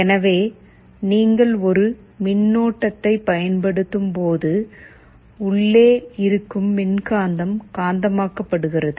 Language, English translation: Tamil, So, when you apply a current there is an electromagnet inside, which gets magnetized